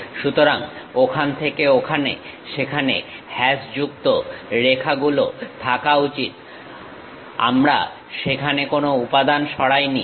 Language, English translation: Bengali, So, from there to there, there should be hashed lines; we did not remove any material there